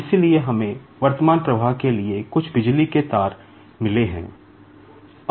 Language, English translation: Hindi, So, we have got some electric coils wires for current flow